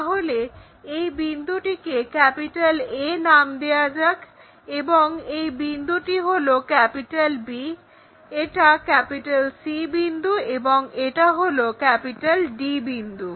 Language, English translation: Bengali, So, let us call this is point A and this is point B and this is point C and this is point D